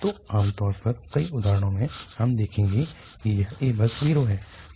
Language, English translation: Hindi, So, usually when we, in many examples we will see that this a is just 0